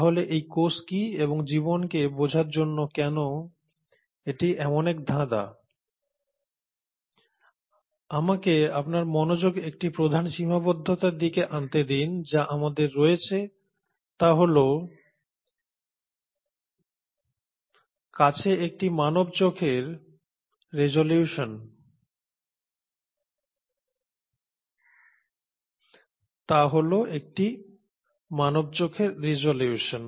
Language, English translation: Bengali, So what are these cells and why it has been such an enigma to understand life, and let me bring your attention to one major limitation that we have as humans is a resolution of a human eye